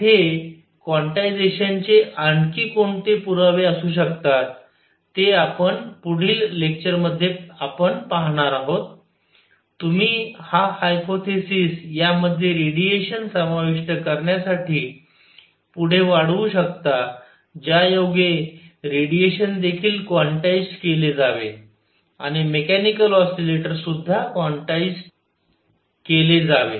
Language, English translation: Marathi, What other evidences for quantization could be there that we will see in the next lecture that you can extend this hypothesis further to include radiation that radiation should also be quantized and also a mechanical oscillators should be quantized